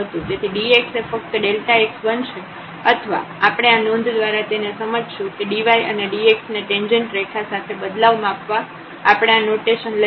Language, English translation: Gujarati, So, the dx will become just the delta x or we can understood from this note that dy and dx we take the notation the measure changes along the tangent line